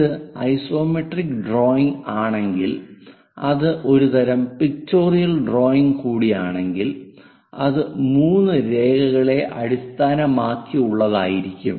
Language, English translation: Malayalam, If it is isometric drawing a type of it is also a type of pictorial drawing, but based on 3 lines which we call isometric access